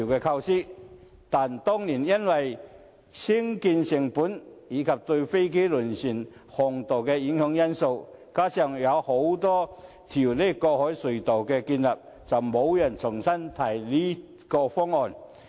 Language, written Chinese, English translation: Cantonese, 但是，當年因為興建成本，以及對飛機和輪船航道造成影響等因素，加上擬建多條海底隧道，後來便沒有人重新提出這個方案。, Nevertheless in view of the construction cost the impacts on flight paths and vessel fairways as well as the proposed construction of a few harbour crossings the proposal was not raised again